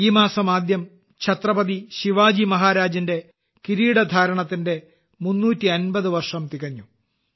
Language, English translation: Malayalam, The beginning of this month itself marks the completion of 350 years of the coronation of Chhatrapati Shivaji Maharaj